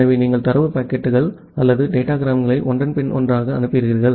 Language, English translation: Tamil, So, you just send data packets or datagrams one after another